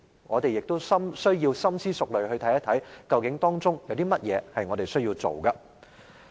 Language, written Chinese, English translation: Cantonese, 我們需要深思熟慮地看一看，究竟當中有甚麼是我們需要做的。, We therefore have to consider it thoroughly to figure what we need to do